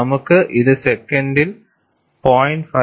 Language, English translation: Malayalam, We have this as 0